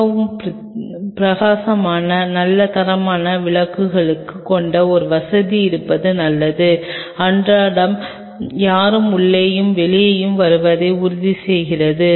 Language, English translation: Tamil, It is a good idea to have a facility with really bright good quality lighting and everyday ensure the whosever is coming in and out